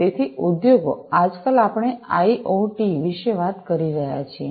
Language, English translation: Gujarati, So, industries so, nowadays, we are talking about IoT